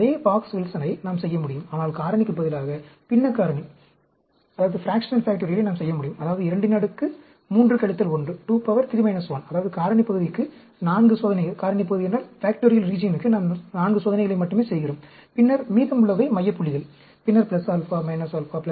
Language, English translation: Tamil, We can do the same Box Wilson, but instead of factorial, we can do a fractional factorial, that means, 2, 3 minus 1, that means, we are doing only 4 experiments for the factorial region, and then, the remaining is the center points, and then, plus alpha, minus alpha, plus alpha, minus alpha, plus alpha, minus alpha